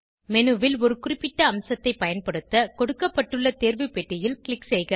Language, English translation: Tamil, etc To use a particular feature on the menu, click on the check box provided